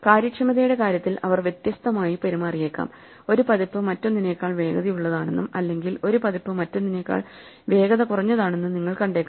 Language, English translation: Malayalam, They may behave differently in terms of efficiency, you might see that one version is faster than another or one version slower than another, but this is not the same as saying that the functions change